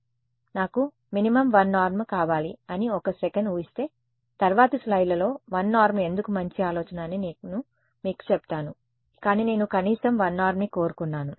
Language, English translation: Telugu, So, if let us say just assume for a second that I want a minimum 1 norm, the next slides I tell you why 1 norm is a good idea, but let us say I wanted minimum 1 norm